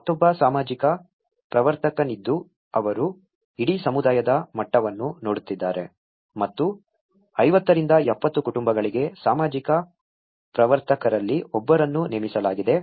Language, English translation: Kannada, There is another which is a social promoter, who is looking at the whole community level and for 50 to 70 households is one of the social promoter has been appointed